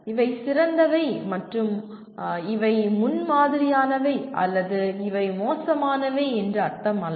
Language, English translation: Tamil, It does not mean these are the best and these are the ideal or these are bad or anything like that